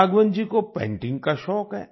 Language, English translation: Hindi, Raghavan ji is fond of painting